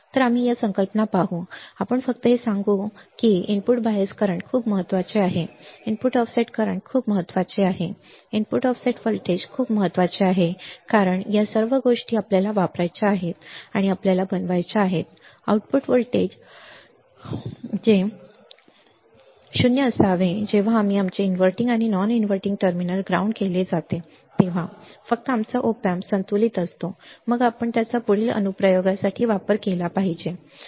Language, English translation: Marathi, So, we will see these concepts we will see these concepts is just to tell you that input bias current is very important input offset current is very important input offset voltage is very important because these all things we have to use and we have to make the output voltage balance that is output voltage should be 0 when we our inverting and non inverting terminals are grounded then only our op amp is balanced then we should use it for further application, right